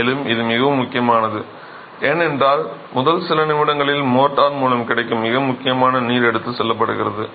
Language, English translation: Tamil, And this is very important because it's in the first few minutes that the most most important water that is available with the motor is taken away